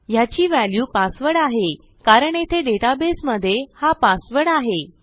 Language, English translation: Marathi, So this value is password, because inside our database, this is password here